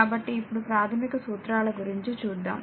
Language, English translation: Telugu, So, we will now come to the Basic Laws